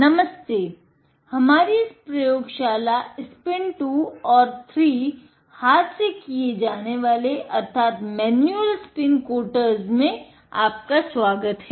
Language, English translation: Hindi, Hello, and welcome to this training on our lab spin 2 and 3, the manual spin coaters